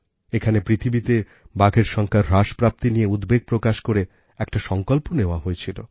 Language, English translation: Bengali, At this summit, a resolution was taken expressing concern about the dwindling tiger population in the world